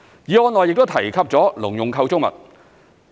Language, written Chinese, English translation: Cantonese, 議案內亦提及了農用構築物。, Agricultural structures are also mentioned in the motion